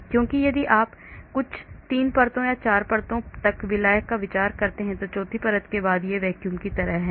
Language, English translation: Hindi, Because if you consider solvent up to certain, 3 layers or 4 layers then after the fourth layer it is like vacuum right